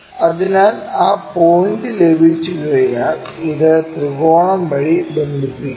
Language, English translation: Malayalam, So, once we have that point connect this by triangle